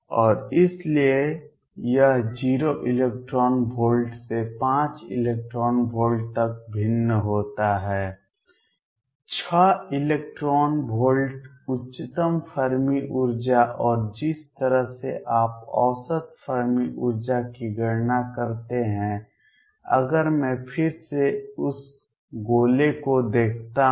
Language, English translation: Hindi, And so, it varies from 0 electron volts to 5 electron volts 6 electron volts the highest another Fermi energy and the way you calculate the average Fermi energy is if I again look at that sphere